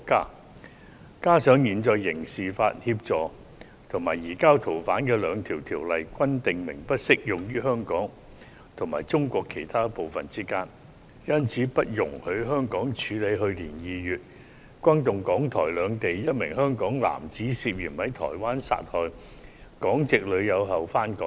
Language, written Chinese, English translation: Cantonese, 再加上，現時兩項有關刑事司法互助及移交逃犯的法例均訂明，不適用於香港與中國其他部分之間，因而不容許香港處理一宗在去年2月轟動港台兩地、一名香港男子涉嫌在台灣殺害港籍女友後返港的案件。, What is more the two pieces of existing legislation on mutual legal assistance in criminal matters and the surrender of fugitive offenders provide that they are not applicable to any arrangement between Hong Kong and other parts of China . Hence Hong Kong is not allowed to deal with a case that shocked Hong Kong and Taiwan in February last year where a Hong Kong man returned to Hong Kong after allegedly killing his Hong Kong girlfriend in Taiwan